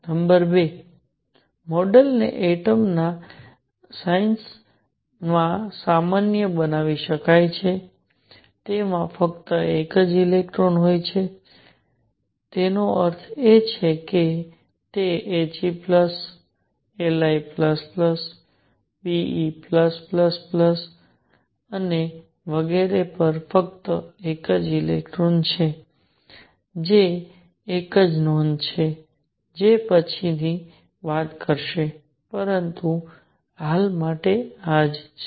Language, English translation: Gujarati, Number 2: the model can be generalized to ions of atoms that have only one electron; that means, helium plus lithium plus plus beryllium plus plus plus and so on that have only one electron that is a note which will talk about later, but for the time being this is what is